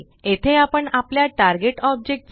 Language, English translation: Marathi, Here we add the name of our target object